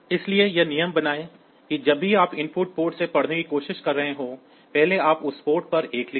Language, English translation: Hindi, So, make it a rule that whenever you are trying to read from an input port, first you write a 1 at that port